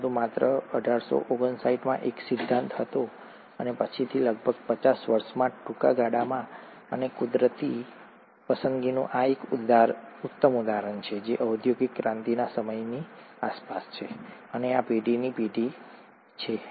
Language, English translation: Gujarati, But this was just a theory in 1859 and later on, within a very short span of about fifty years, and this has been the classic example of natural selection, has been around the time of industrial revolution, and this has been the generation of the peppered Moth